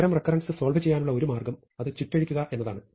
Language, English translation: Malayalam, So, one way to solve such a recurrence is to unwind it